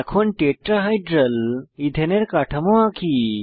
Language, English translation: Bengali, Now, lets draw Tetrahedral Ethane structure